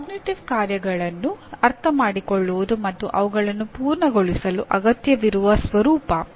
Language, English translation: Kannada, Understanding cognitive tasks and the nature of what is required to complete them